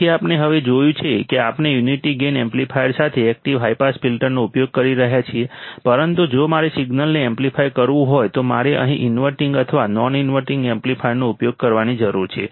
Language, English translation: Gujarati, So, what we have seen now is that we are using active high pass filter with unity gain amplifier, but what if I want to amplify the signal then I need to use the inverting or non inverting amplifier here